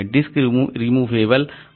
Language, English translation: Hindi, Discs can be removable